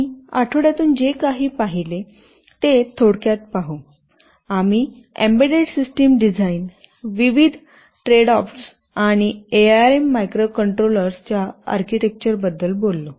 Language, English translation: Marathi, During the 1st week, we had talked about some introductory aspects about embedded system design, various tradeoffs and also we talked about the architecture of the ARM microcontrollers